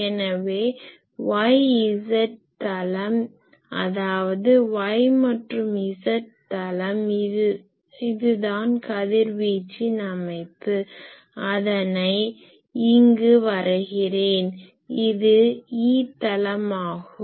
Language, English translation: Tamil, So, here the y z plane so that means, y and z plane this will be the radiation pattern I will have to plot here; this will be the E plane